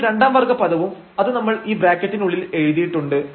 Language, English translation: Malayalam, So, the second order term so that also we have written inside this these parentheses